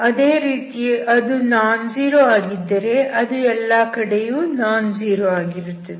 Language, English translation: Kannada, At one place if it is nonzero, it should be nonzero everywhere